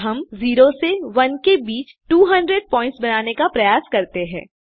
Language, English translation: Hindi, Now lets try to generate 200 points between 0 and 1